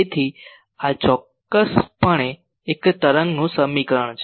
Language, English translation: Gujarati, So, this is definitely an equation of a wave